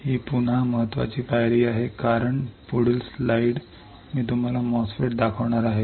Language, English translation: Marathi, This again very important step because next slide I am going to show you the MOSFET